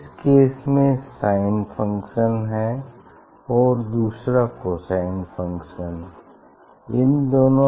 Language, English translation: Hindi, this one case is sin function and other is cos function